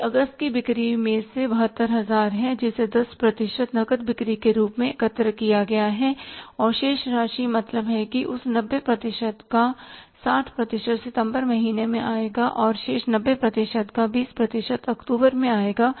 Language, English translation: Hindi, This is 72,000 out of the August sales, 10% are collected as cash sales and remaining amount means 80% will come in the month of September of that 90% and remaining 20% of that 90% will come in October